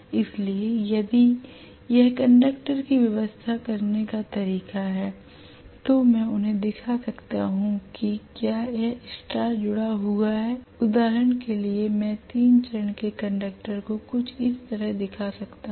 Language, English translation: Hindi, So if this is the way the conductors are arranged I can show them if it is star connected, for example I can show the 3 phase conductors somewhat like this